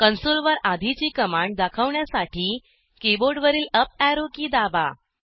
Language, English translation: Marathi, To display the previous command on the console, press up arrow key on the keyboard